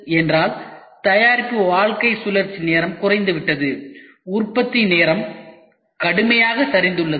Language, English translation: Tamil, The product life cycle time has shrunk down; the manufacturing time has shrunk down drastically ok